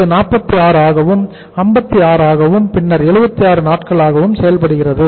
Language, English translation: Tamil, This works out as 46 then 56 and then it is 76 days